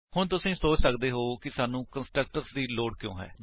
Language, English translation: Punjabi, Now you might feel why do we need constructors